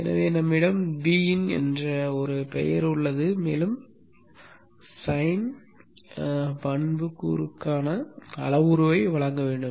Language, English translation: Tamil, So we have the name VIN and we need to provide the parameter for the sign attribute